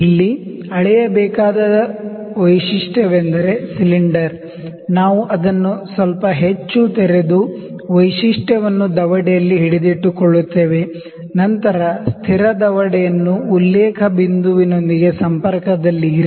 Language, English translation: Kannada, Here the feature that is to be measured is the cylinder, we open it little more than that and hold the feature in the jaws, then, place the fixed jaw in contact with the reference point